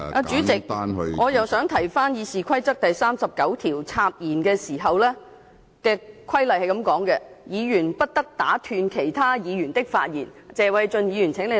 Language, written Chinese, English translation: Cantonese, 主席，我再一次引述《議事規則》第39條有關插言的規定，即議員不得打斷其他議員的發言，請謝偉俊議員留意。, President let me once again cite RoP 39 about interruptions which stated that a Member shall not interrupt another Member . Mr Paul TSE please pay attention to it